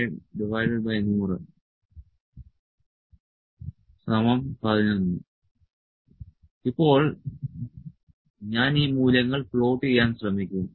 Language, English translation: Malayalam, And now I will try to plot these values